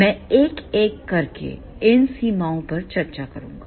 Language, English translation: Hindi, I will discuss these limitations one by one